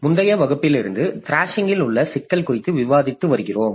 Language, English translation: Tamil, In our last class we have been discussing on the problem of thrashing